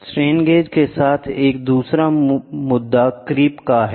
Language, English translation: Hindi, Then, the other issue with strain gauges are creep